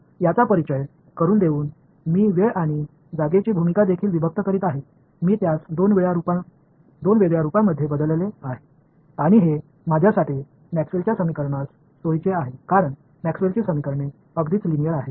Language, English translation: Marathi, By introducing this I am also separating the role of time and space, I made it into two separate variables and I can that is convenient for me with Maxwell’s equations because Maxwell’s equations are nicely linear right